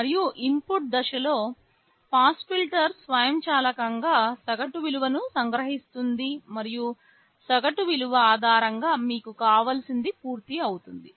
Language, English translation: Telugu, And the low pass filter in the input stage will automatically extract the average value and based on the average value whatever you want will be done